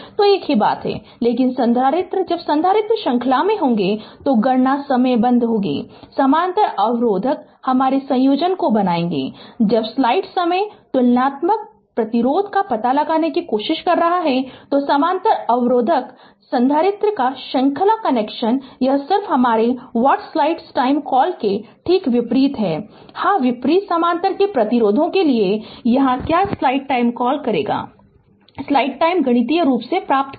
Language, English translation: Hindi, So, same thing, but capacitor when capacitor will be in series that calculation will the way you made parallel resistor your combination when you are trying to find out equivalence resistance ah for parallel resistor, for series connection of capacitor it is just your what you call just ah opposite to that yeah opposite to the resistors of parallel that here what you call the you obtain mathematically